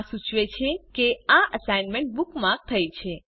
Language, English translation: Gujarati, This indicates that this site has been bookmarked